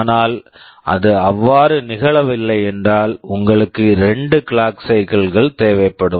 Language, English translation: Tamil, But if it is not so, you will be requiring 2 clock cycles